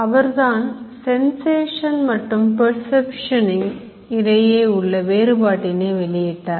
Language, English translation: Tamil, He made out a difference between sensation and perception